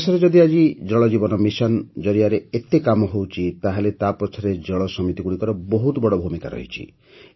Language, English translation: Odia, Today, if so much work is being done in the country under the 'Jal Jeevan Mission', water committees have had a big role to play in it